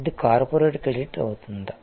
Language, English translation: Telugu, Is it a corporate credit and so on